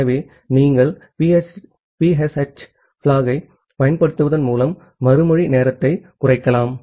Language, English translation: Tamil, So, you can reduce the response time by utilizing the PSH flag